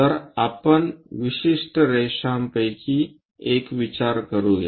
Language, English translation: Marathi, So, let us consider one of the particular line